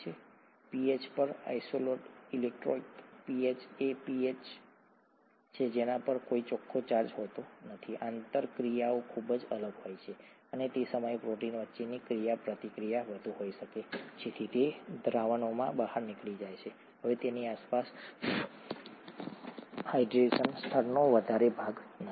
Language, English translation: Gujarati, At the isoelectric pH, isoelectric pH is a pH at which there is no net charge, the interactions would be very different and at that time, the interaction between the proteins could be higher, so they fall out of solutions; there is no longer much of the hydration layer around it